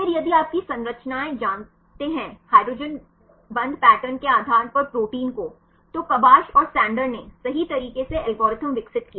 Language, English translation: Hindi, Then if you know the structures of proteins right based on the hydrogen bonding pattern, Kabsch and Sander right they developed algorithm